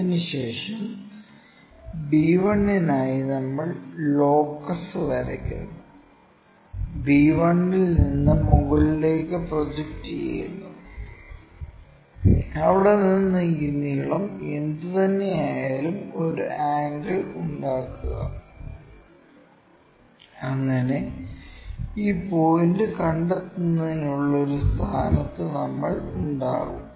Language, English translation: Malayalam, After, that we draw locus for b 1, from b 1 project it all the way up, whatever this length we have it from there make a angle, so that we will be in a position to locate this point